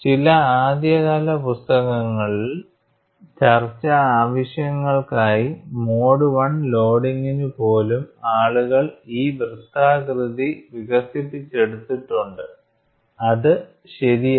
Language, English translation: Malayalam, In some of the early books people have extrapolated the circular shape even for a mode 1 loading for discussion purposes, which is strictly not correct